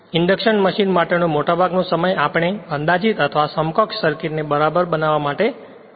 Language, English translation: Gujarati, Most of the times for induction machine we have spend to make an approximate or equivalent circuit right